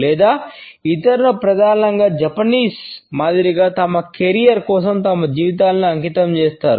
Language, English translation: Telugu, Or others mainly dedicate their lives for their career like the Japanese